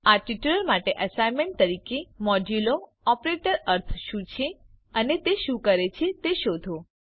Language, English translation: Gujarati, As an assignment for this tutorial Find out what is meant by the modulo operator and what it does